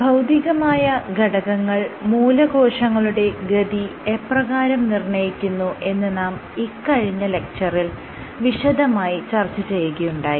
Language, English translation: Malayalam, In the last lecture we are started discussing about how Physical factors can regulate Stem cell fate